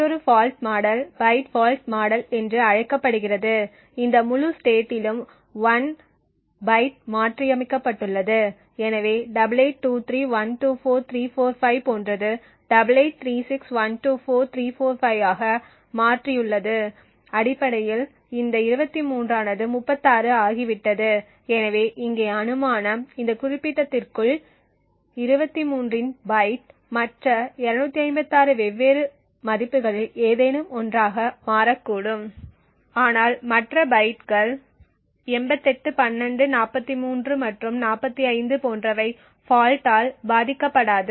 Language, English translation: Tamil, Another fault model is known as the byte fault model here what we assume is that 1 byte in this entire state has been modified so we have like 8823124345 which has changed to 8836124345 essentially this 23 has become 36 so the assumption here is that within this specific byte of 23 it could change to any of the other 255 different values but the other bytes like 88 12 43 and 45 are not affected by the fault